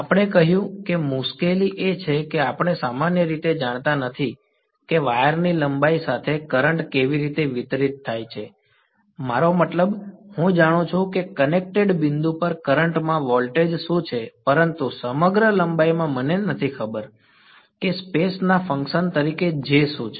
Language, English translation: Gujarati, The trouble we said is that we do not typically know how is the current distributed along the length of the wire; I mean, I know what is the voltage at the current at the point of connected, but across the length I do not know what is J as a function of space